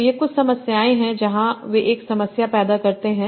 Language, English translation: Hindi, So here are some of the problems where they create problem